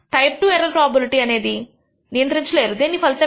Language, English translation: Telugu, The type II error probability results as a consequence of this